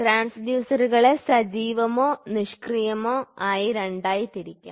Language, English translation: Malayalam, Transducers can also be classified into two which can be active or passive